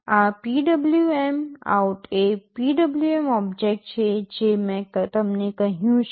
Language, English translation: Gujarati, This PwmOut is the PWM object I told you